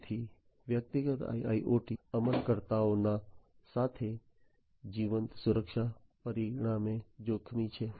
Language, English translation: Gujarati, So, living security at the hands of the individual IIoT implementers is consequently dangerous